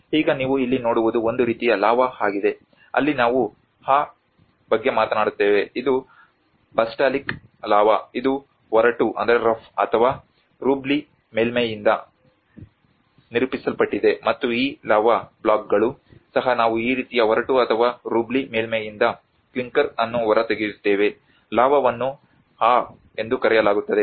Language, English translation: Kannada, \ \ Like now what you see here is a kind of lava where we talk about the \'ebAa\'ed which is the basaltic lava which is characterized by a rough or a rubbly surface and these lava blocks also we actually extract the clinker from this kind of rough and rubbly surface lava is called \'ebAa\'ed